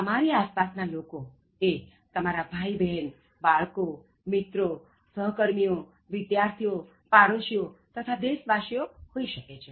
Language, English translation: Gujarati, The people around you could be your siblings, children, friends, colleagues, students, neighbours and countrymen